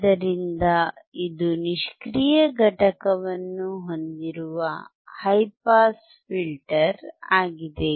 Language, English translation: Kannada, So, it is a high pass filter using passive component